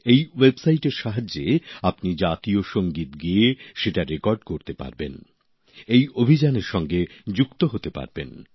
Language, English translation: Bengali, With the help of this website, you can render the National Anthem and record it, thereby getting connected with the campaign